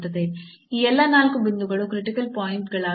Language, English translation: Kannada, So, all these 4 points are there which are the critical points